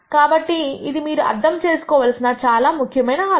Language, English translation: Telugu, So, this is a critical idea that I want you to understand